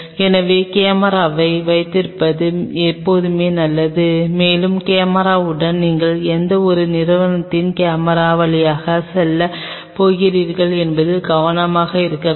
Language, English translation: Tamil, So, it is always a good idea to have the camera and with the camera also you have to be careful which company’s camera you are going to go through